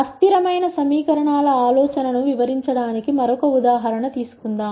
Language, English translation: Telugu, Let us take another example to explain the idea of inconsistent equations